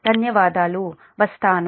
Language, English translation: Telugu, thank you will come